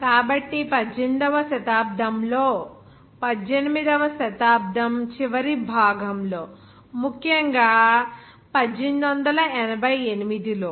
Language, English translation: Telugu, So in the 18th century in the last part of the 18th century especially in 1888